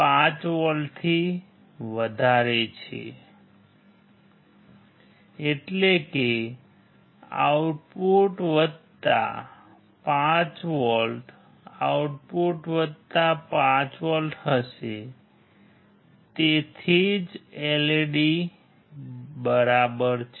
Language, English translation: Gujarati, 5 volts means output will be plus 5V output will be plus 5 volt that is why LED is on right